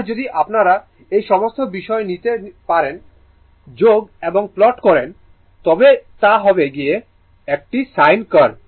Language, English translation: Bengali, And if you take all these point and join it and plot it, it will be a sin curve, right